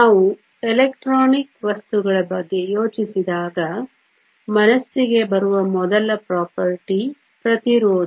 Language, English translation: Kannada, When we think of electronic materials, the first property that comes to mind is Resistance